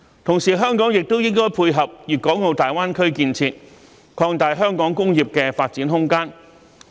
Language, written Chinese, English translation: Cantonese, 同時，香港也應配合粵港澳大灣區建設，擴大香港工業的發展空間。, Meanwhile Hong Kong should complement the development of the Guangdong - Hong Kong - Macao Greater Bay Area and expand the room for its industrial development